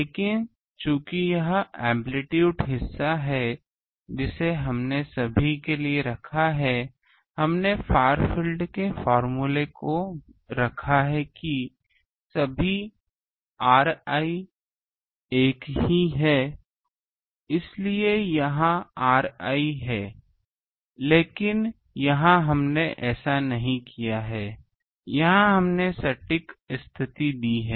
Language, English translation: Hindi, But since this is the amplitude part we have put for everyone; we have put the far field formula that all r i are same that is why here r i, but here we have not done that here we have put the exact condition